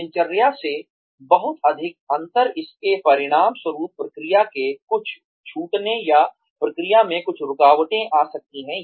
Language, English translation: Hindi, Too much of a difference from the routine, may result in, some breakages of process or some interruptions in the process